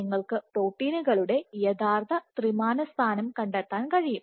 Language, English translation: Malayalam, So, you can actually detect the 3D position of proteins